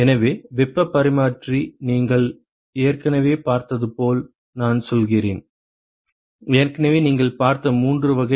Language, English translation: Tamil, So, heat exchanger, I mean as you have already seen; already three types you have seen